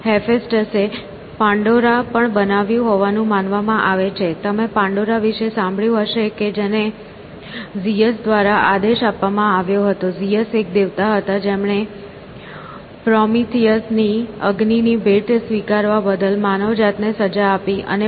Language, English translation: Gujarati, Hephaestus is also supposed to have created Pandora; you might have heard about Pandora who commissioned by Zeus, Zeus was a god, to punish mankind for accepting Prometheus‟s gift of fire